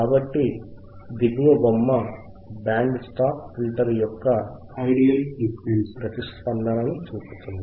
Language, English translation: Telugu, So, the figure below shows the ideal frequency response of a Band Stop Filter